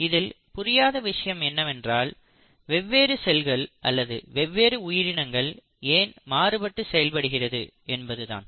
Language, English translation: Tamil, Now what we do not understand is how is it that different cells behave differently or different forms of life behave differently